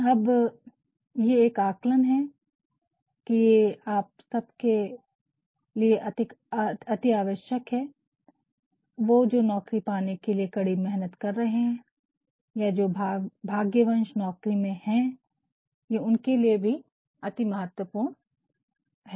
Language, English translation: Hindi, Now, here is an observation that is a paramount importance it says all of you, who are working hard for getting a job or those who are fortunately in jobs, they might find it quite essential